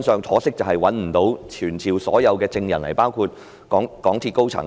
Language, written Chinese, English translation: Cantonese, 可惜的是當時我們不能傳召所有證人到來，包括港鐵公司高層。, It was regrettable that we could not summon all the witnesses including the senior management of MTRCL to come before us